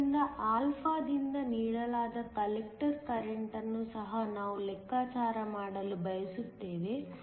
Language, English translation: Kannada, So, we want to also calculate the collector current that is given by alpha